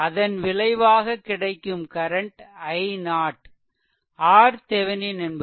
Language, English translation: Tamil, Then, find the voltage V 0 and R Thevenin is equal to V 0 by R 0